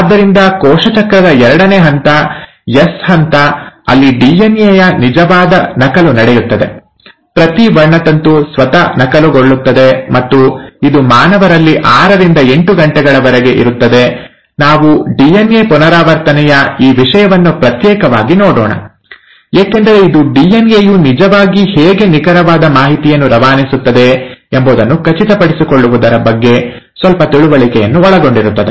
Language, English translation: Kannada, So the second phase of cell cycle is the S phase, where the actual duplication of DNA takes place, each chromosome duplicates itself, and it lasts anywhere between six to eight hours in humans, and we’ll cover this topic of DNA replication separately, because it involves a little bit of understanding of how the DNA actually makes sure, that it is passing on the exact information